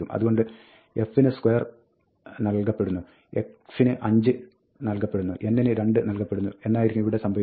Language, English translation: Malayalam, So, what is happening here is that, square is being assigned to f, 5 is being assigned to x, and 2 is being assigned to n